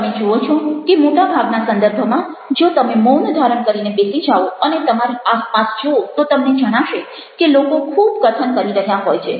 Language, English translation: Gujarati, you see that in most contexts, if you sit down silently and look around, you find that people are speaking a lot